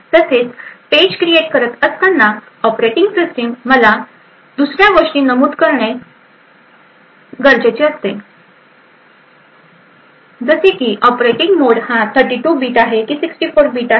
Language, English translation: Marathi, Also, while creating the page the operating system would need to specify other aspects such as the operating mode whether it is 32 bit or 64 bits